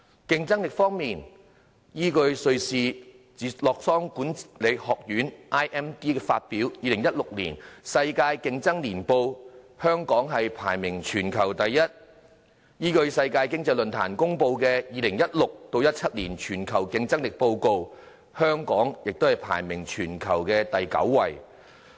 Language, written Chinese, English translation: Cantonese, 競爭力方面，依據瑞士洛桑國際管理發展學院發表的《2016年世界競爭力年報》，香港排名全球第一；依據世界經濟論壇公布的《2016-2017 年全球競爭力報告》，香港亦排名全球第九位。, As regards competitiveness Hong Kong was ranked the worlds most competitive economy according to the World Competitiveness Yearbook 2016 released by the International Institute for Management Development in Lausanne Switzerland; Hong Kong was ranked ninth in the world according to the Global Competitiveness Report 2016 - 2017 released by the World Economic Forum